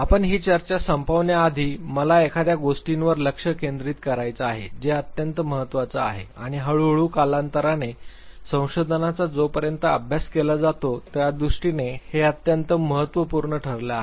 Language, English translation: Marathi, Before we end this discussion I would like to focus on something which is of utmost importance and gradually over period of time has become excessively significant as far as research is concerned, studies are concerned